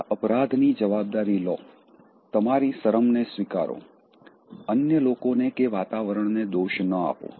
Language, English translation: Gujarati, Own your guilt, own your shame, don’t blame others or the environment